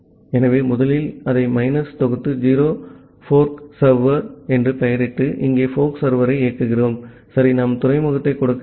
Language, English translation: Tamil, So let us first compile it minus o we name it as forkserver and running the forkserver here, ok we have to give the port